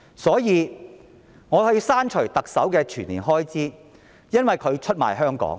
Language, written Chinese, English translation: Cantonese, 所以，我要求削減特首全年薪酬開支，因為她出賣香港。, Therefore I seek to reduce the annual salary expenditure for the Chief Executive because she has betrayed Hong Kong